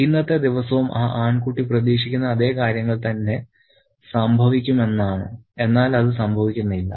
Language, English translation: Malayalam, And this particular day too, the boy expects the same set of things to happen, but it doesn't